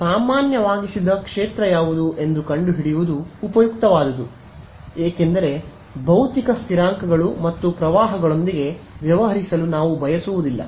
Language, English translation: Kannada, So, towards that what is useful is to find out what is the normalized field because we do not want to be dealing with physical constants and currents and all over that thing